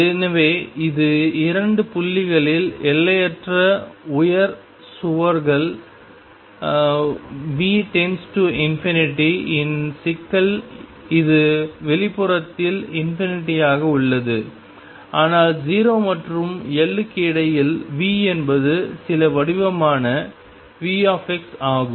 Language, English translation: Tamil, So, this is the problem with infinitely high walls V goes to infinity at 2 points and remains infinity outside between 0 and L, V is some shape V x